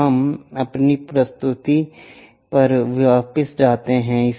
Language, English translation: Hindi, So, let us go back to our presentation